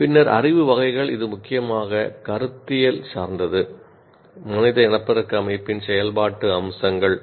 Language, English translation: Tamil, And then the knowledge categories, it is mainly conceptual, functional features of human reproductive system